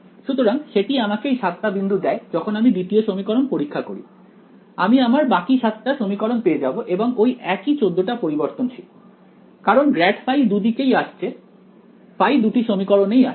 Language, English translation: Bengali, So, that gives me when I test the 2nd equation with these 7 points I will get the remaining 7 equations and the same 14 variables right, because grad phi is appearing in both places phi is appearing in both equations right